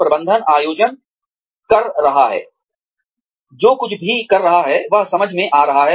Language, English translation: Hindi, Management is organizing, making sense of whatever, one is doing